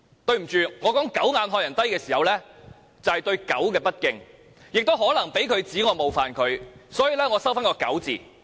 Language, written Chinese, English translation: Cantonese, 對不起，我說"狗眼看人低"是對狗不敬，也可能被他指我冒犯他，所以我收回"狗"字。, My apology to dogs for my expression a condescending person with a dogs eyes for I may be disrespectful to dogs and Mr CHAN may accuse me of offending him